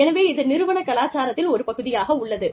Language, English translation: Tamil, So, that forms, a part of the organization's culture